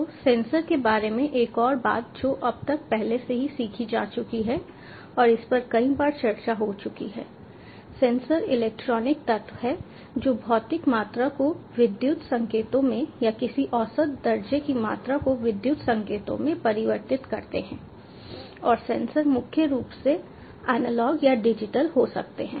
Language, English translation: Hindi, so another thing regarding sensors: ah, as of already learnt by now, and it has been discussed many times, sensors are electronic elements which convert physical quantity into electrical signals or any measurable quantity into electrical signals, and sensors can be primarily analog or digital